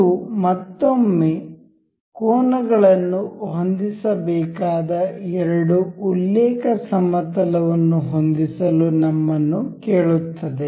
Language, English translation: Kannada, This again, ask us to ask set the two reference plane between which the angles has to be set